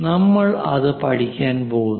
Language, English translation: Malayalam, We are going to learn